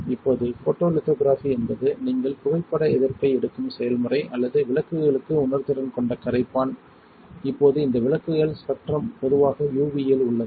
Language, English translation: Tamil, Now photolithography is a process where you take photo resists or the solvent that is sensitive to lights, now this lights spectrum is usually in the UV